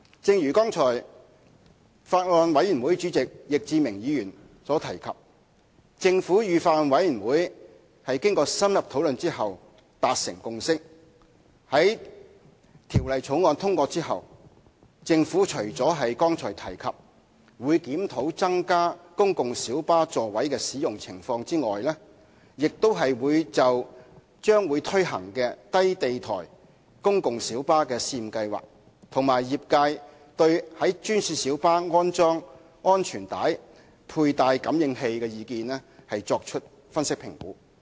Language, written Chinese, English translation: Cantonese, 正如剛才法案委員會主席易志明議員所提及，政府與法案委員會經深入討論後達成共識，在《條例草案》通過後，除了剛才提到檢視公共小巴在增加座位後的使用情況外，政府亦會就即將推行的低地台公共小巴試驗計劃，以及業界對專線小巴安裝安全帶佩戴感應器的意見，作出分析和評估。, As mentioned by Mr Frankie YICK Chairman of the Bills Committee earlier on the Government and the Bills Committee will reach a consensus after in - depth discussion . On passage of the Bill in addition to reviewing the utilization of PLBs after the increase in seating capacity as mentioned just now the Government will also conduct an analysis and assessment on the upcoming pilot scheme on low - floor wheelchair - accessible PLBs and the views of the trade on installing seat belt sensors on GMBs